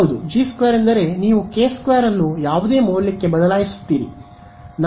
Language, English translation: Kannada, Yes, G 2 means you change the k 2 whichever the value